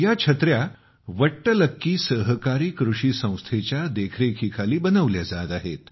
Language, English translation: Marathi, These umbrellas are made under the supervision of ‘Vattalakki Cooperative Farming Society’